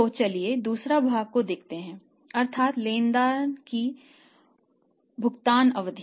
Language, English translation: Hindi, So, let us see second part of this that is the creditors payment period